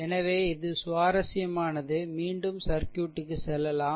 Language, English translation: Tamil, So, this is interesting just go go let us go back to the circuit, right